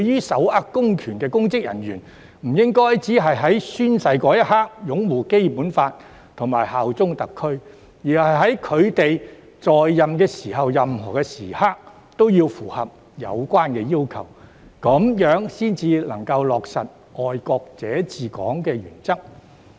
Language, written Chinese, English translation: Cantonese, 手握公權力的公職人員不應只在宣誓的一刻才擁護《基本法》及效忠特區，在任期間也應符合有關要求，這樣才可以落實"愛國者治港"的原則。, Public officers who possess public powers should not uphold the Basic Law and bear allegiance to HKSAR . They should fulfil the relevant requirements during the term of office so that the principle of patriots administering Hong Kong could be implemented